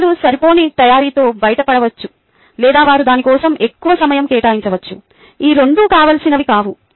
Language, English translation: Telugu, people can get away with inadequate preparation or they can put in too much time into preparing for it, both of which are not desirable